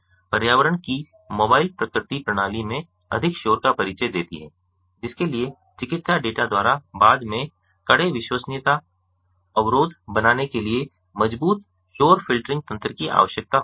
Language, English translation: Hindi, the mobile nature of the environment introduces more noise into the system, whose require robust noise filtering mechanisms to make the stringent reliability constraint in post by medical data